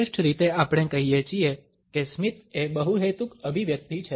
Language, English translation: Gujarati, At best we say that is smile is a multipurpose expression